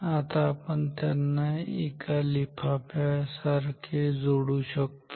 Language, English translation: Marathi, Now we can join all this with an envelope like this ok